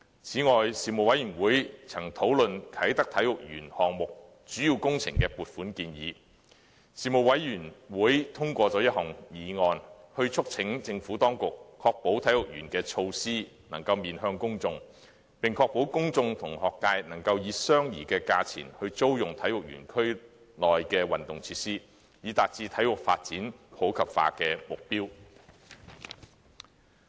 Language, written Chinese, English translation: Cantonese, 此外，事務委員會曾討論"啟德體育園項目"主要工程的撥款建議，事務委員會通過了一項議案，促請政府當局確保體育園的措施能夠面向公眾，並確保公眾和學界能夠以相宜的價錢租用體育園區內的運動設施，以達致體育發展普及化的目標。, Moreover the Panel discussed the funding proposal for the main works for the Kai Tak Sports Park project and passed a motion urging the Government to ensure that the Sports Park would adopt public - oriented measures and make sure that the public and schools could hire venues in the Sports Park at affordable prices so as to achieve the objective of promoting sports in the community